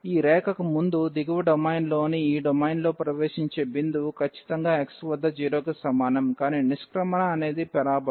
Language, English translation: Telugu, Before this line so, in this domain in the lower domain here, we have the entry point exactly at x is equal to 0, but the exit is the parabola